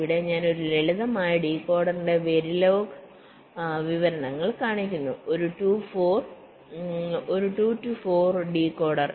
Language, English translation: Malayalam, here i am showing very log descriptions of a simple decoder, a two to four decoder